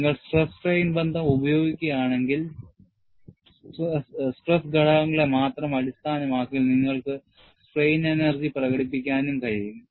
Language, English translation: Malayalam, If you employ the stress strain relations, you could also express the strain energy in terms of only the stress components